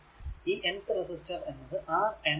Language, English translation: Malayalam, And if you have a n number of resistor Rn